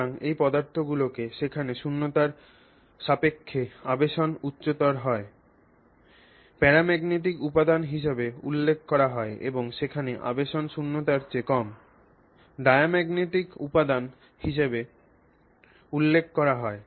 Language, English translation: Bengali, So, these materials are referred to where the induction is higher it is referred to as a paramagnetic material and with respect to vacuum and where it is lower than vacuum it is referred to as a diamagnetic material